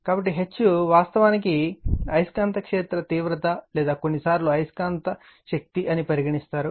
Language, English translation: Telugu, So, H is actually magnetic field intensity or sometimes we call magnetizing force right